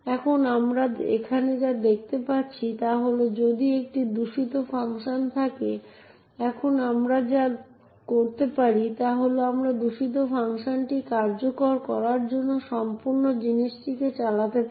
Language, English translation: Bengali, Now what we see here is that there is a malicious function, now what we can do is we can actually trick this entire thing into executing this malicious function